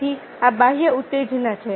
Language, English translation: Gujarati, so these are the external stimuli